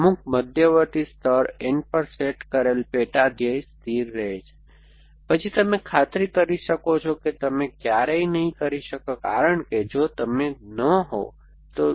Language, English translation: Gujarati, The sub goal set at some intermediate layer n remains constant, then n you can be sure that you will never because if you are not be